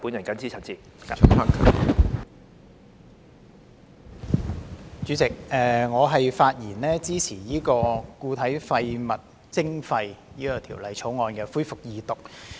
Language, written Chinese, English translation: Cantonese, 主席，我發言支持《2018年廢物處置條例草案》恢復二讀。, President I speak in support of the resumption of the Second Reading of the Waste Disposal Amendment Bill 2018 the Bill